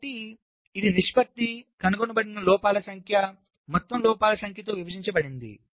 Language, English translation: Telugu, so it is defined as the ratio number of detected faults divide by the total number of faults